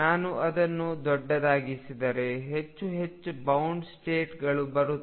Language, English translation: Kannada, If I make it larger and larger more and more bound states will come